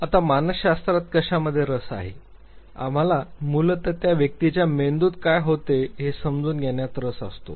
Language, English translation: Marathi, Now, what is psychology interested in; we are basically interested understanding what goes in the brain of the individual